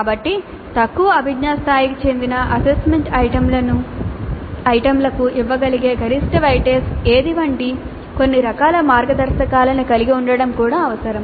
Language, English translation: Telugu, So it's also necessary to have some kind of a guidelines like what would be the maximum weight is that can be given to assessment items belonging to the lower cognitive levels